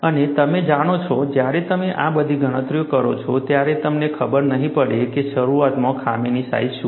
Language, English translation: Gujarati, And you know, when you do all these calculations, you may not know what is a initial flaw size